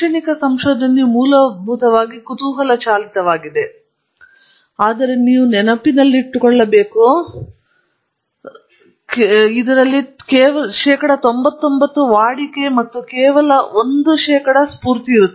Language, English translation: Kannada, Academic is basically curiosity driven, but you must remember even here 99 percent is routine, only one percent is inspired